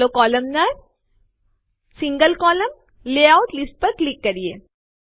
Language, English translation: Gujarati, Let us click on the Columnar, single column layout list